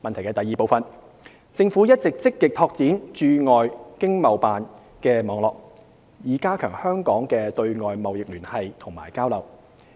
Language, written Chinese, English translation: Cantonese, 二政府一直積極拓展駐海外經濟貿易辦事處的網絡，以加強香港的對外貿易聯繫及交流。, 2 The Government has been actively expanding the network of overseas Economic and Trade Offices ETOs with a view to strengthening Hong Kongs external trade connections and interactions